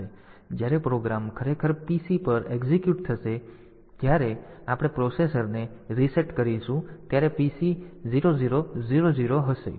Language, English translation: Gujarati, So, when the program will actually be executed the PC, when we reset the processor the PC will be 0 0 00